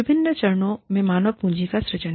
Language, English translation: Hindi, Generation of human capital at various stages